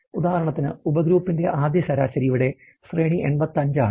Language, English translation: Malayalam, For example is the first average of the subgroup and the range there is 85